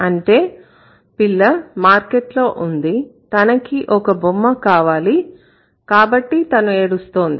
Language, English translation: Telugu, So, the child is in the market, she wants a toy and then that is why she is crying